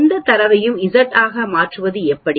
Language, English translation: Tamil, How do you convert any data into z